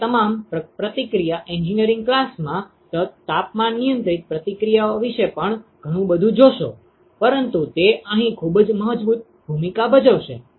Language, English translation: Gujarati, You will see a lot more about temperature controlled reactions in your reaction engineering class, but it plays a very strong role here